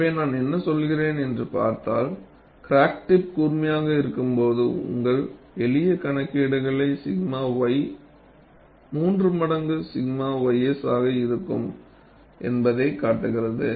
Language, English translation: Tamil, So, if you really look back and see what we were really saying is, when the crack tip is sharp your simple calculation show, that sigma y would be 3 times sigma ys